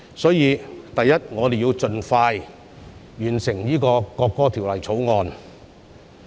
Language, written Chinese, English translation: Cantonese, 首先，我們要盡快完成《條例草案》。, Before all else we should expeditiously complete the Bill